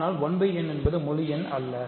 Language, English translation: Tamil, But, 1 by n is not an integer